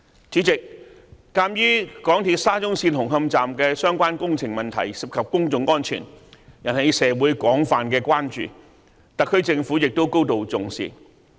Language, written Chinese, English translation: Cantonese, 主席，鑒於港鐵沙中線紅磡站的相關工程問題涉及公眾安全，引起社會廣泛關注，因此特區政府亦高度重視。, President since the problems related to the construction works at the Hung Hom Station Extension of SCL are related to public safety and have aroused widespread concern in society the SAR Government is also keenly concerned about them